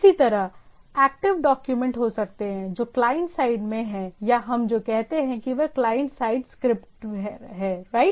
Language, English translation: Hindi, Similarly, there can be active document which are at the client side or what we say it is a client side script right